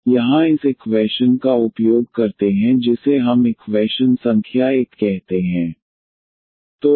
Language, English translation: Hindi, So, here this using this equation which we call as equation number 1